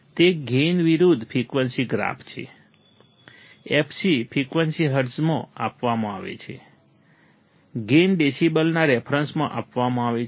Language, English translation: Gujarati, It is a gain versus frequency graph, fc frequency is given in hertz, gain is given in terms of decibel